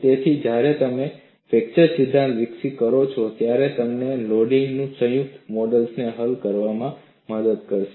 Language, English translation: Gujarati, So, when you developed a fracture theory, it must help you to solve combined modes of loading also